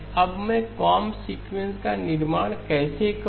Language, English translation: Hindi, Now how do I construct comb sequences